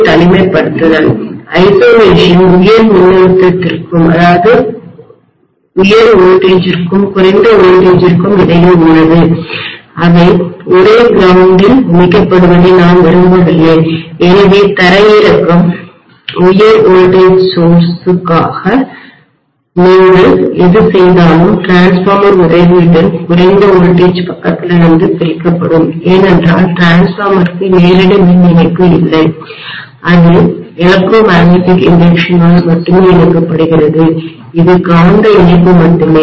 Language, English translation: Tamil, Isolation is between high voltage and low voltage I might like to have some amount of, you know separation between their grounds I do not want them to be connected to the same ground, so earthing or grounding what you do for high voltage source will be separated from the low voltage side with the help of transformer because the transformer does not have any direct electrical connection, it is coupled only by electromagnetic induction, it is only magnetic coupling